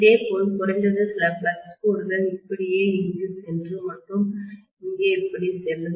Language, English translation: Tamil, Similarly, I will have at least some flux lines go here like this and go here like this